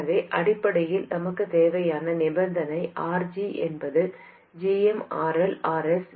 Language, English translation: Tamil, So essentially what you need is for RG to be much greater than GMRL RS